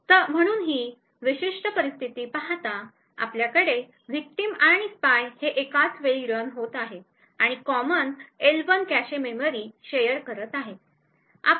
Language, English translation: Marathi, So given this particular scenario we have the victim and the spy running simultaneously and sharing the common L1 cache memory